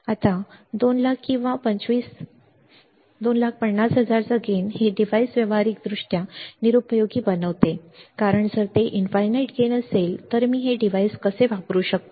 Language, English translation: Marathi, Now, a gain of 200,000 or 250,000 makes this device practically useless right because if it is infinite gain, then how can I use this device